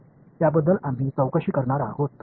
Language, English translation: Marathi, So, that is what we are going to investigate